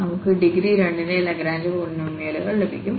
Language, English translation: Malayalam, So, these are called the Lagrange polynomials of degree n